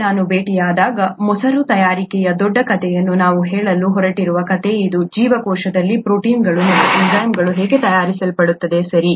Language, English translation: Kannada, When we meet up next, this is the story that we are going to ask in the larger story of curd making, how are proteins and enzymes made in the cell, okay